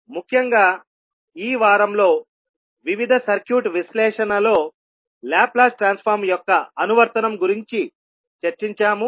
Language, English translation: Telugu, And particularly in this week, we discussed about the application of Laplace Transform in various circuit analysis